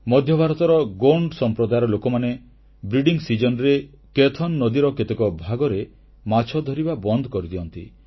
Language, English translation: Odia, The Gond tribes in Central Indai stop fishing in some parts of Kaithan river during the breeding season